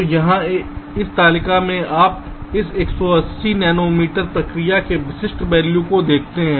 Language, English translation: Hindi, so here in this table you see the typical values for this one eighty nanometer process